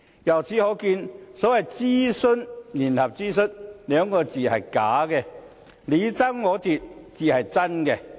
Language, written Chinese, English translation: Cantonese, 由此可見，所謂"聯合諮詢"這幾個字是假的，你爭我奪才是真的。, It can be seen that the so - called joint consultation is a misnomer and the reality is that the two are fighting each other